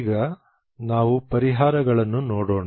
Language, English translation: Kannada, Now let us see the solutions